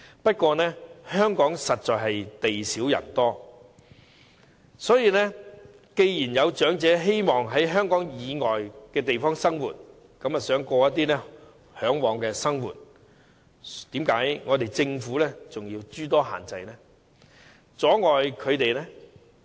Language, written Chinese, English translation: Cantonese, 不過，香港實在地少人多，既然有長者希望在香港以外地方過其嚮往的生活，政府為何仍要諸多限制，阻礙他們呢？, But Hong Kong is honestly a tiny place with many people . As some elderly people wish to live their desired life in places outside Hong Kong why should the Government impose all sorts of restrictions and hindrance on them all the same?